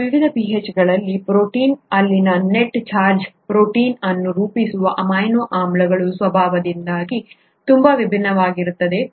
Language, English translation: Kannada, And at various different pHs, the net charge in the protein could be very different because of the nature of the amino acids that make up the protein